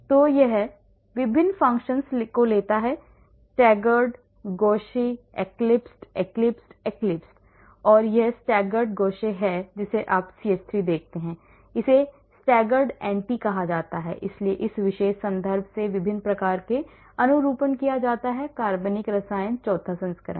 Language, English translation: Hindi, So, it takes different conformations staggered, gauche, eclipsed, eclipsed, eclipsed and this is staggered gauche you see CH3 is here, it is called staggered anti so different types of conformations this is taken from this particular reference organic chemistry fourth edition